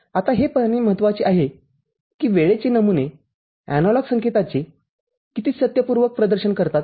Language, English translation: Marathi, Now, there are concerns like how close these time samples will be to truthfully represent the analog signal